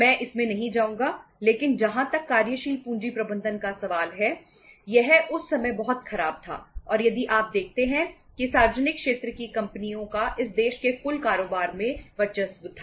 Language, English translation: Hindi, I will not go into that but as far as the working capital management is concerned it was very very poor at that time and if you see that even the because the the total business of this country was dominated with the public sector companies